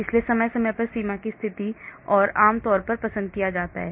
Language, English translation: Hindi, So periodic boundary condition is generally preferred